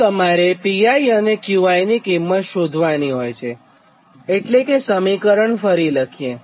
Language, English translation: Gujarati, so thats why this pi and qi both, you have to find out its expression